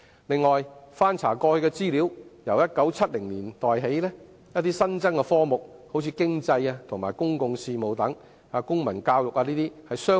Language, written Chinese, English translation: Cantonese, 此外，翻查過去的資料可得知，由1970年代起，一些新增科目相繼湧現，例如經濟及公共事務和公民教育等。, Besides as learnt from past information new subjects such as Economics and Public Affairs and Civic Education have been introduced since 1970s